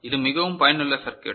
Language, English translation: Tamil, This is very, very you know useful circuit